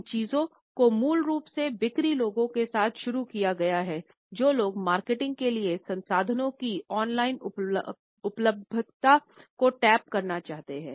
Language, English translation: Hindi, These concerns basically is started with the sales people, people who wanted to tap the online availability of resources for marketing